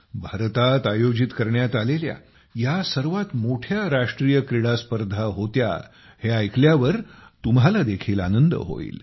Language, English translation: Marathi, You will be happy to know that the National Games this time was the biggest ever organized in India